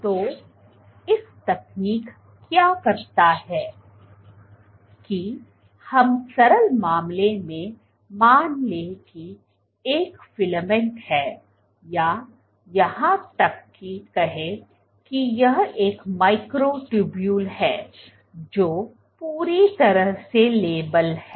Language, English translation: Hindi, So, let us assume in the simple case you have a filament or even let us say let us say this is be a microtubule which is entirely labeled